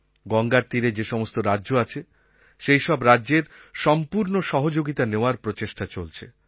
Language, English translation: Bengali, We are seeking the full cooperation of all the states through which Ganga flows